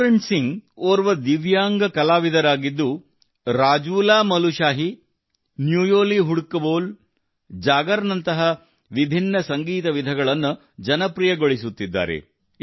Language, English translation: Kannada, Pooran Singh is a Divyang Artist, who is popularizing various Music Forms such as RajulaMalushahi, Nyuli, Hudka Bol, Jagar